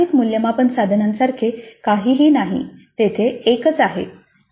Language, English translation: Marathi, So there is nothing like multiple assessment, there is only one